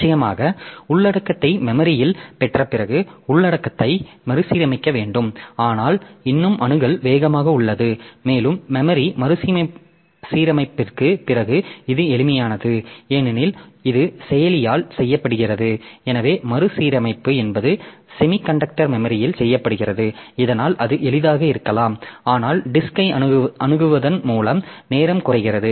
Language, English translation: Tamil, So, as a result of course after getting the content into memory so you need to reorganize the content but still the access is fast and this after with the in memory reorganization may be simple because that is done by the processor so that reorganization is a is done on semiconductor memory so that may be easy but accessing the disk so that time is reduced by doing this